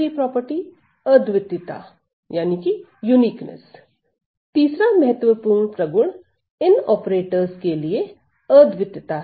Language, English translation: Hindi, The third property that is important to these operators are its uniqueness